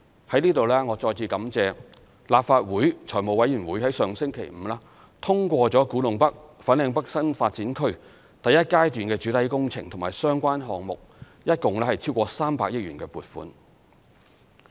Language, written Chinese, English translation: Cantonese, 在這裏我再次感謝立法會財務委員會上星期五通過古洞北/粉嶺北新發展區第一階段的主體工程和相關項目一共超過300億元的撥款。, Again here I would like to extend my gratitude to the Finance Committee of the Legislative Council for endorsing the application for funding totalling more than 30 billion in relation to the main works and related projects of the first phase of the Kwu Tung NorthFanling North New Development Areas NDAs last Friday